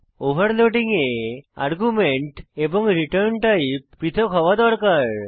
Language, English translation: Bengali, In overloading the arguments and the return type must differ